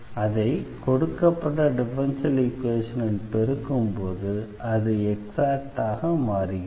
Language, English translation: Tamil, So, the idea here is to multiply the given differential equation which is not exact